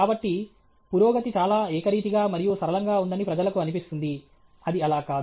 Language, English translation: Telugu, So, it makes people feel that progress is very uniform and linear; it is not the case